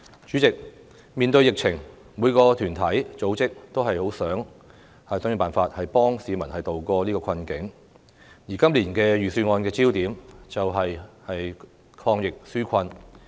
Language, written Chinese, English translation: Cantonese, 主席，面對疫情，每個團體、組織均十分希望想盡辦法幫助市民渡過困境，而今年預算案的焦點，便是抗疫紓困。, President in the face of the epidemic all groups and organizations are eager to find ways to help the public tide over the difficult situation . This years Budget focuses on fighting the epidemic and relieving peoples burden